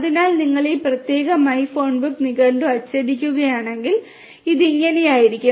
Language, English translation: Malayalam, So, then if you; if you print this particular my phonebook dictionary, then this is how it is going to look like